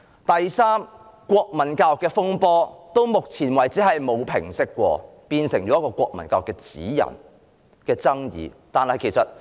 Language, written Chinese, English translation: Cantonese, 第三，國民教育的風波到目前為止沒有平息過，國民教育的指引繼續引發爭議。, Third the controversy over national education has never ended so far and the guidelines on national education have continued to spark controversy